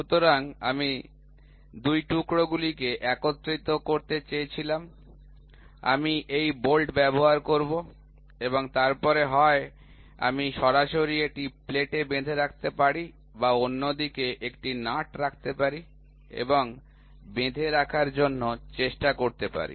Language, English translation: Bengali, So, I wanted to assemble 2 piece, I will use this bolt and then either I can directly fasten it to the plate or I can put a nut on the other side and try to use for fastening